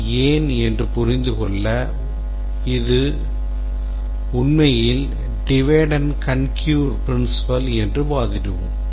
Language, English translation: Tamil, To understand why it is so, we will argue that this is actually the divide and conquer principle